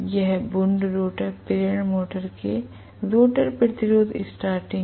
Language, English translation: Hindi, This is rotor resistance starting of wound rotor induction motor right